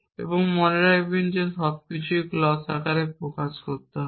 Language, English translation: Bengali, And remember that everything is to be expressed in clause form